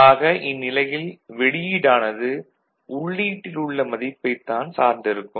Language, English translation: Tamil, So, the output will at that time will totally depend on whatever is the input ok